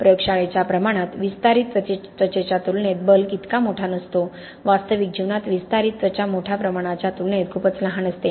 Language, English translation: Marathi, In a laboratory scale the bulk is not that big as compared to the expanding skin, in the real life the expanding skin is too small as compared to the bulk